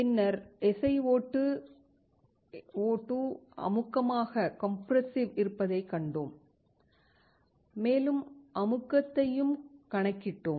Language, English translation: Tamil, Then, we saw that SiO2 is compressive and also calculated the compressive